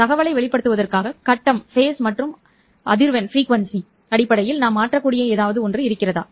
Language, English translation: Tamil, Is there something that we can change in terms of phase and frequency in order to convey the information